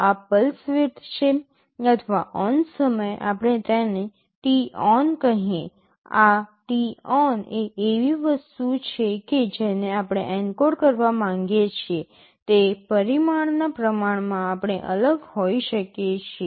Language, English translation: Gujarati, This is the pulse width or the ON time let us call it t on; this t on is something we are varying in proportion to the parameter we want to encode